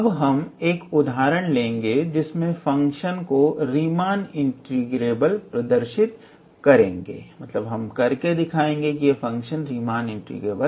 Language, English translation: Hindi, We will look into now an example, where we will show that a function is Riemann integrable